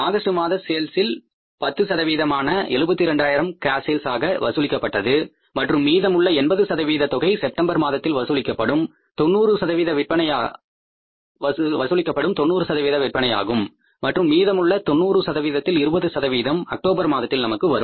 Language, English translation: Tamil, This is 72,000 out of the August sales, 10% are collected as cash sales and remaining amount means 80% will come in the month of September of that 90% and remaining 20% of that 90% will come in October